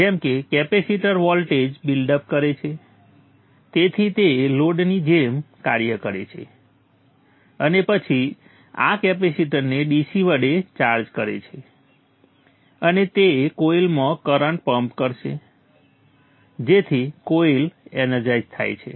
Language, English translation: Gujarati, As the capacitor voltage builds up up this acts like load and then charges of this capacitor, this capacitor to the DC and it will pump current into the coil so that the coil gets energized